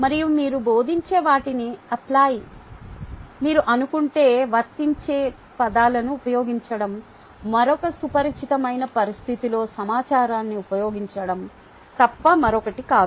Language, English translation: Telugu, and suppose you want them to apply what you teach, use the words apply is nothing but using information in a another familiar situation